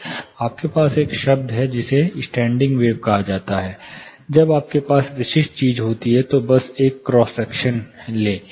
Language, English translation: Hindi, You have a term call standing wave do not cancel each other, when you have specific thing just take a cross section